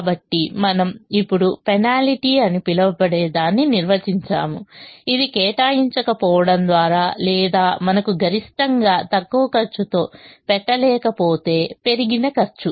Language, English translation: Telugu, so we now define something called a penalty, which is the increased cost that we would incur by not assigning, or if we are not able to, the maximum in the least cost